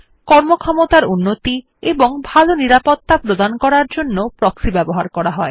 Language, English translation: Bengali, Proxies are used to improve performance and provide better security